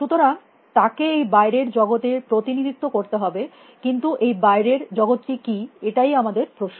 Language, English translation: Bengali, So, it needs to represent the world out there, but what is the world out there is the question we are asking